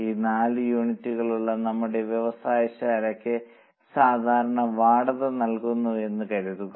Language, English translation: Malayalam, Suppose for our factory which has these four units we pay common rent